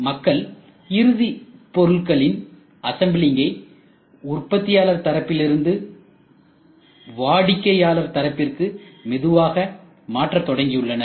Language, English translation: Tamil, People are slowly started assembling the final product at the customer end rather than manufacturers end